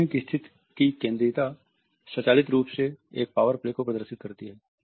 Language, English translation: Hindi, The centrality of seating position automatically conveys a power play